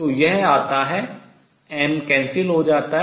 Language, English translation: Hindi, So, this comes out to be m cancels